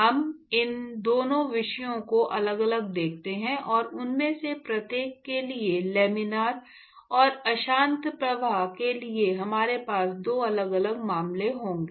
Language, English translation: Hindi, So, we look at both these topics separately, and we will have two different cases for each of them laminar and turbulent flow